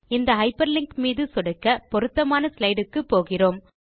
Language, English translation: Tamil, Clicking on the hyper linked text takes you to the relevant slide